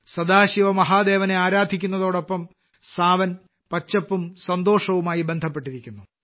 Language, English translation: Malayalam, Along with worshiping Sadashiv Mahadev, 'Sawan' is associated with greenery and joy